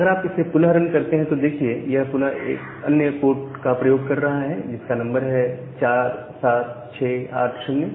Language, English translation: Hindi, So, if you run it again, you see that it is again using a different port 47680